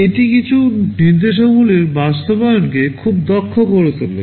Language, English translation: Bengali, This makes the implementation of some of the instructions very efficient